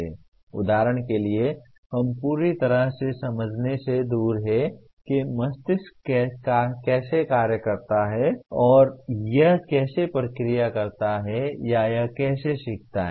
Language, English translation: Hindi, For example we are far from fully understanding how brain functions and how does it process or how does it learn